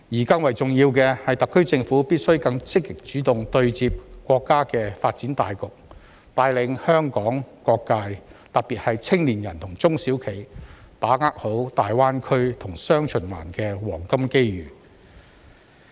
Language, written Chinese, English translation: Cantonese, 更重要的是，特區政府必須更積極主動對接國家的發展大局，帶領香港各界，特別是青年人和中小企好好把握大灣區和雙循環的黃金機遇。, More importantly the SAR Government must be more proactive in connecting with the overall development of the country leading all sectors of Hong Kong especially young people and SMEs to seize the golden opportunities brought about by the Greater Bay Area GBA and the dual circulation strategy